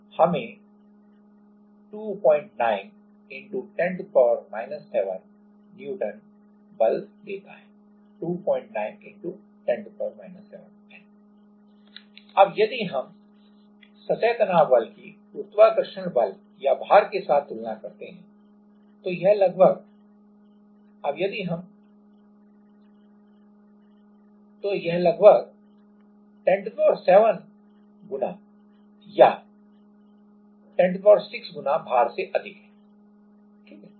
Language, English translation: Hindi, Now, if we compare the surface tension force with the gravitational force or with the weight, then it is almost 10 to the power 7 times or 10 to the power 6 times higher than the weight, right